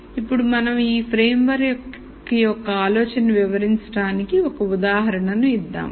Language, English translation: Telugu, Here we gives one example to illustrate the idea of the framework